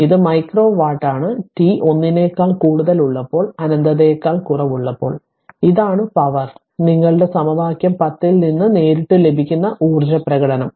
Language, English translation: Malayalam, So, this is micro watt for t greater than 1 less than infinity this is the power, the energy expression as follows that directly we get from your what you call equation 10 right